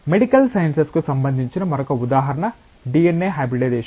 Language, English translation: Telugu, Another example like which is related to the medical sciences is DNA hybridisation